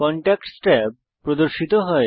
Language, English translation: Bengali, The Contacts tab appears